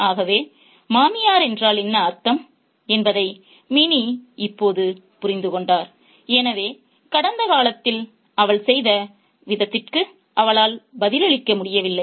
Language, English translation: Tamil, So, Minnie now understood what the in law meant, so she couldn't answer the way she did in the past